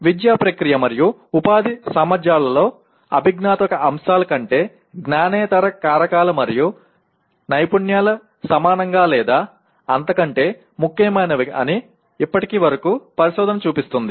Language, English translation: Telugu, And till now, the research shows that the non cognitive factors and skills are equally or even more important than cognitive aspects in educative process and employment potential